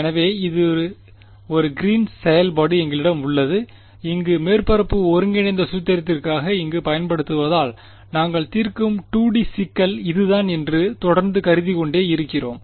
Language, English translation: Tamil, So, we have a Green’s function that where using over here for the surface integral formulation, we are keeping we are going to continue to assume that is the 2D problem that we are solving